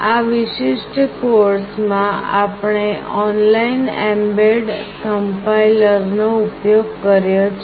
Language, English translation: Gujarati, In this particular course we have used this online mbed compiler